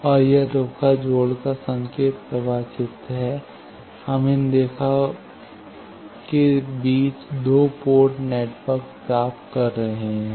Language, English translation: Hindi, And this the signal flow graph of line connection, we get the two port networks between them these line